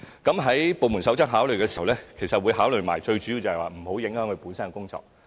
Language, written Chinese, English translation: Cantonese, 在部門首長考慮時，最主要會一併考慮到，外間工作不能影響公務員本身的工作。, When giving consideration Heads of Departments will focus on maintaining that the outside work will not affect the official duties of the civil servants concerned